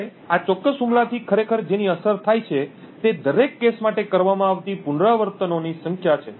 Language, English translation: Gujarati, Now what actually is affected by this particular attack is the number of iterations that are done for each case